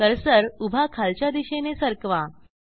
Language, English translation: Marathi, Move the cursor vertically downwards